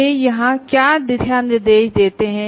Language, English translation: Hindi, And what are the guidelines they give here